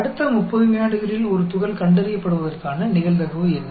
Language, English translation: Tamil, What is the probability that a particle is detected in the next 30 seconds